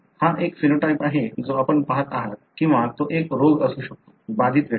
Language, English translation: Marathi, That is a phenotype that you are looking at or it could be a disease; the affected individual